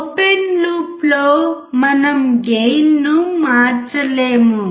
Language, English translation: Telugu, In open loop, we cannot change gain